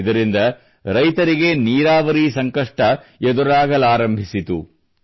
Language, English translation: Kannada, Due to this, problems in irrigation had also arisen for the farmers